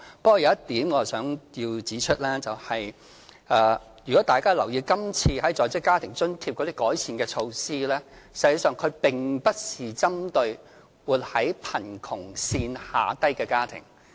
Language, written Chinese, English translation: Cantonese, 不過，有一點我想指出，如果大家有留意今次在職家庭津貼的改善措施，實際上並不是針對活在貧窮線下的家庭。, Nevertheless I wish to point out that the initiatives for improving the Working Family Allowance are not actually targeted at households living under the poverty line